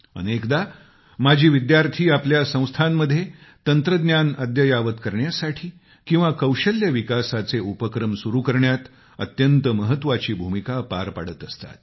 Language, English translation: Marathi, Often, alumni play a very important role in technology upgradation of their institutions, in construction of buildings, in initiating awards and scholarships and in starting programs for skill development